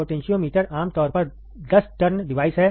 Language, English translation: Hindi, Potentiometer is usually 10 turn device